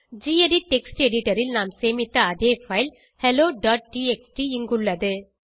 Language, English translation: Tamil, Hey, we can see that the same hello.txt file what we saved from gedit text editor is here